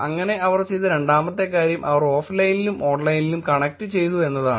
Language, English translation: Malayalam, So the second one what they did was they connected the offline and the online